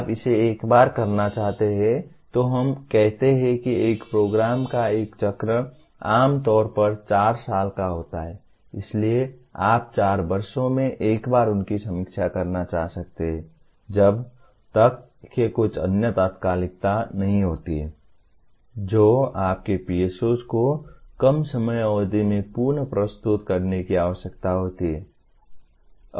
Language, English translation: Hindi, You may want to do it once in let us say one cycle generally of a program is four years, so you may want to review them once in 4 years unless there is some other urgency that requires to reword your PSOs in a lesser time period